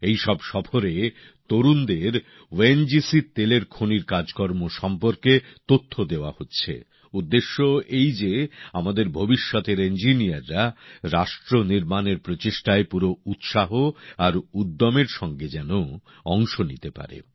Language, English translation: Bengali, In these tours, youth are being imparted knowledge on ONGC's Oil Field Operations…with the objective that our budding engineers be able to contribute their bit to nation building efforts with full zest and fervor